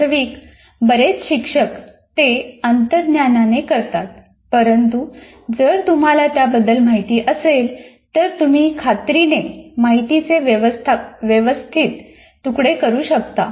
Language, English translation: Marathi, Actually, many teachers do that intuitively, but if you are aware of it, you will definitely make sure that you change the information appropriately